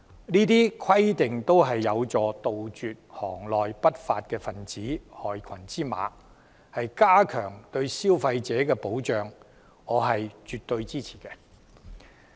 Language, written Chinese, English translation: Cantonese, 上述規定都有助杜絕行內不法分子及害群之馬，加強對消費者的保障，我絕對支持。, As the rules mentioned above can help eliminate lawbreakers and black sheep in the trade and enhance consumer protection I will give my full support to them